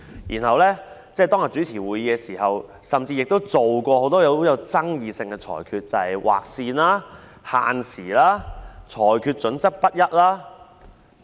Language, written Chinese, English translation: Cantonese, 然後，主席在當天主持會議時，亦作出了很多極富爭議性的裁決，例如"劃線"、限時和裁決準則不一等。, Subsequently while presiding over the meeting on that day the President also made many highly controversial rulings for example drawing lines imposing time limits inconsistent rulings and so on